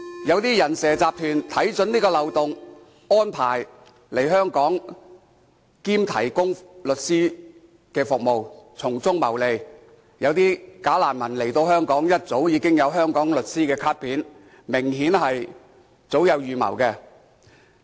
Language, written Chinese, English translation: Cantonese, 有些"人蛇"集團看準這個漏洞，安排他們來香港當"假難民"並提供律師服務，從中謀利，有些人來香港時已經有香港律師的卡片，明顯是早有預謀。, Seeing this loophole some human smuggling syndicates reap profits by arranging them to come to Hong Kong as bogus refugees and providing legal service to them . Some people already have the business cards of some lawyers in Hong Kong when they arrive and it is obvious that this is premeditated